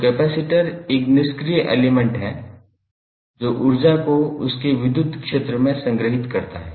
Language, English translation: Hindi, So, capacitor is a passive element design to store energy in its electric field